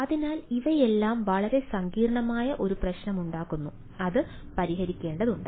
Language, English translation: Malayalam, so all those things makes a very ah complicated issue need to be solved